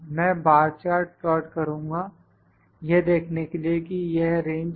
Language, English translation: Hindi, I will plot the bar chart to see this is range